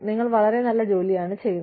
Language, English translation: Malayalam, You are doing, such good work